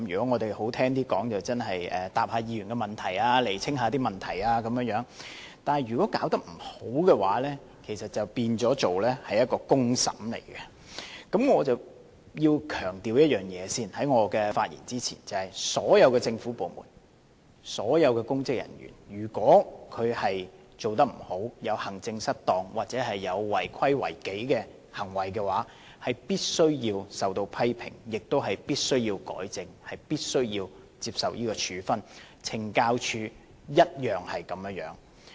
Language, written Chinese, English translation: Cantonese, 我在發言前先要強調一件事，所有政府部門及所有公職人員，如果他們做得不好，有行政失當或有違規違紀的行為，便必須受到批評，亦都必須要改正及接受處分。懲教署當然不例外。, Before I speak on this subject I have to emphasize that if any government department or public officer is not doing well is involved in maladministration non - compliances or disciplinary offences the department or the officer concerned shall be subject to criticism has to be corrected and penalized and there is no exception to the Correctional Services Department CSD of course